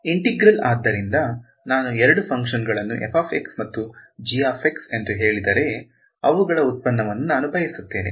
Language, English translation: Kannada, Integral right so if I say two functions say f of x and g of x I want their product right